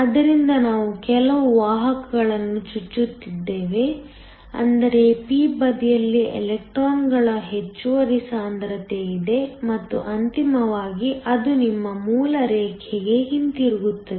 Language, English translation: Kannada, So, we are injecting some carriers; which means there is an extra concentration of electrons on the p side and then ultimately it goes back to your base line